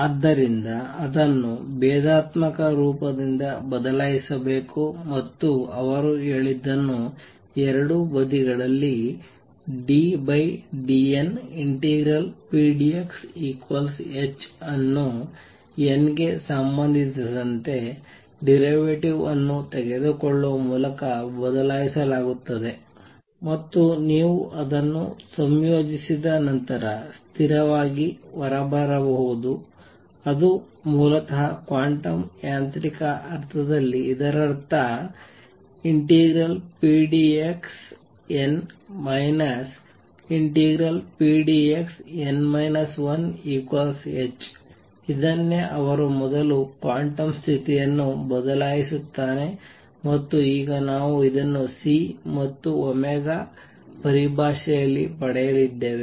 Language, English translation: Kannada, So, it should be replaced by a differential form and therefore, what he said is replaces by taking derivative with respect to n on both sides pdx equals h and once you integrate it that constant may come out which would basically in quantum mechanical sense this would mean that integral pdx for n minus integral pdx for n minus 1 is equal to h, this is what he first replaces the quantum condition by and now we are going to derive this in terms of C and omega